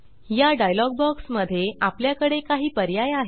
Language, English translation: Marathi, In this dialog box, we have several options